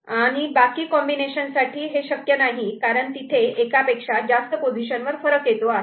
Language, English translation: Marathi, And rest of the combinations are not possible, because it is not it is differing more than one places ok